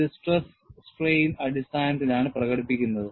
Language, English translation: Malayalam, This is expressed in terms of stress and strain